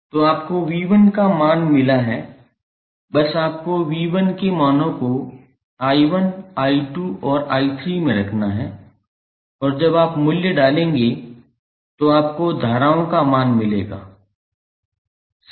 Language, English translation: Hindi, So, you have got the value of V 1 simply you have to put the values of V 1 in I 1, I 2 and I 3 and when you will put the value you will get the values of currents, right